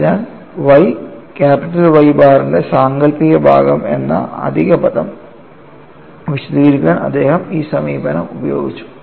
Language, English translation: Malayalam, So, he used this approach to explain the additional term y imaginary part of Y bar